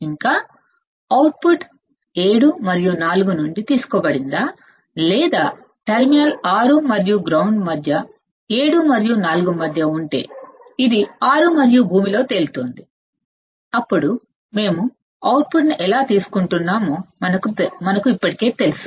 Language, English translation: Telugu, And whether the output is taken from the 7 and 4 or between the terminal 6 and ground if it is between 7 and 4; it is floating in 6 and ground, then we already know how we are taking the output